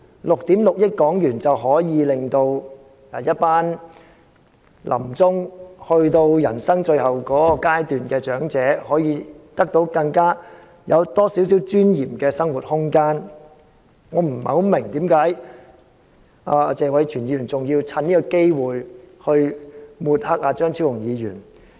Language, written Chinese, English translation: Cantonese, 6億 6,000 萬元便可以令一群臨終、走到人生最後階段的長者更具尊嚴地享有更多生活空間，我不太明白謝偉銓議員為何還要藉此機會抹黑張超雄議員。, A sum of 660 million can enable elderly persons spending their twilight years at the last stage of their lives to enjoy more living space with greater dignity . I do not quite understand why Mr Tony TSE still took this opportunity to smear Dr Fernando CHEUNG